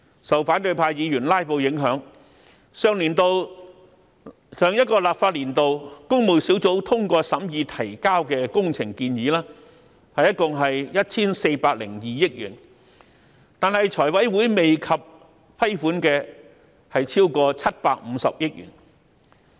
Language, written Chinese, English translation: Cantonese, 受反對派議員"拉布"影響，上一個立法年度，工務小組委員會通過審議提交的工程建議，一共 1,402 億元，但財委會未及批款的則超過750億元。, Owing to filibustering by Members of the opposition camp out of the 140.2 billion proposed works approved by the Public Works Subcommittee in the last legislative session more than 75 billion are still awaiting approval by FC